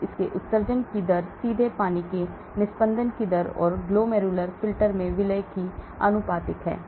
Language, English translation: Hindi, So its rate of excretion is directly proportional to the rate of filtration of water and solutes across the glomerular filter